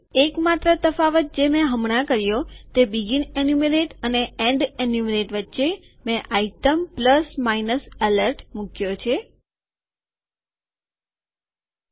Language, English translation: Gujarati, The only difference that I have done now is that between begin enumerate and end enumerate I have put this item plus minus alert